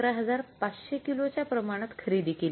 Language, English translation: Marathi, Quantity purchased is 11,500 KG